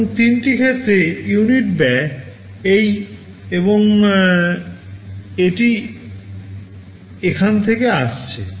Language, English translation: Bengali, And the unit costs for the three cases are coming to this, this and this